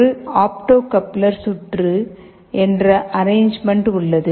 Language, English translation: Tamil, So, this opto coupler mechanism looks like this